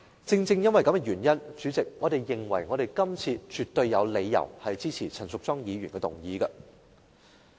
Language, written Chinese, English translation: Cantonese, 主席，正因如此，我們認為今次絕對有理由支持陳淑莊議員的議案。, For this reason President we think that it is justified for us to support Ms Tanya CHANs motion